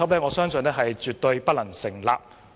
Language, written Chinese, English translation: Cantonese, 我相信這邏輯絕對不能成立。, I believe this logic absolutely does not hold water